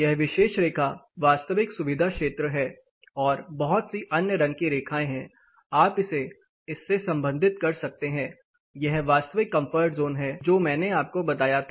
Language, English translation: Hindi, This particular line is the actual comfort zone and there are lot of other colour lines, you can relate this to this, this is the actual comfort zone that I told you